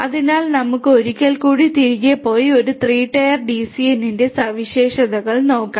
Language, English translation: Malayalam, So, let us go back once again and have a look at the properties of a 3 tier DCN